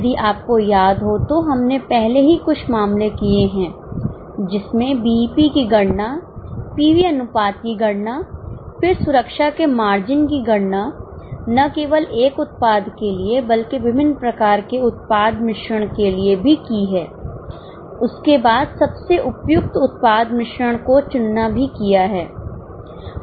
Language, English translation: Hindi, If you remember, we have already done a few cases which involve calculation of BEP, calculation of PV ratio, then calculation of margin of safety, not only for one product but also for various types of product mix, then choosing which product mix is more suitable